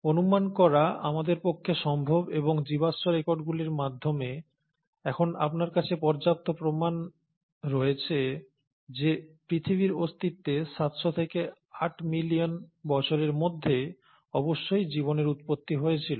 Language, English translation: Bengali, So, it is possible for us to speculate and now you have enough proofs through fossil records that the life must have originated within seven hundred to eight million years of earth’s existence